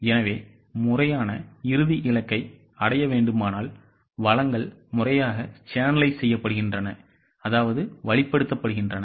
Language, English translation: Tamil, So, if the formal, final goal is to be achieved, what is required is the resources are properly channelized